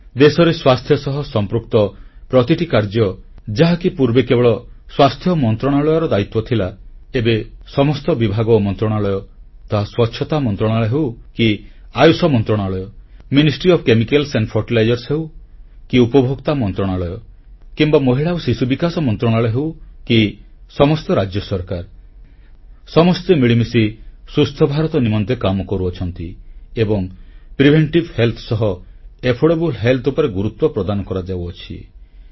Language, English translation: Odia, But now, all departments and ministries be it the Sanitation Ministry or Ayush Ministry or Ministry of Chemicals & Fertilizers, Consumer Affairs Ministry or the Women & Child Welfare Ministry or even the State Governments they are all working together for Swasth Bharat and stress is being laid on affordable health alongside preventive health